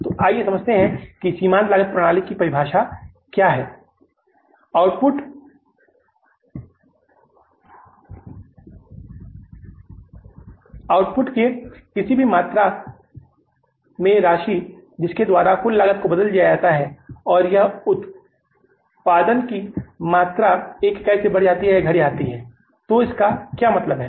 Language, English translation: Hindi, So, marginal cost is the amount at any given volume of output by which aggregate costs are changed if the volume of output is increased or decreased by even one unit